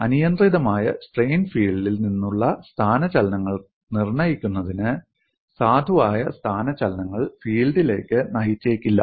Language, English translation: Malayalam, Determination of displacements from an arbitrary strain field may not lead to a valid displacement field